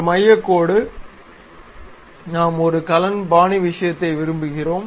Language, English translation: Tamil, A centre line, we would like to have a cane style kind of thing